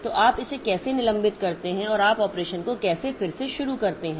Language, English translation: Hindi, So, what is the, how do you suspend it and how do you resume the operation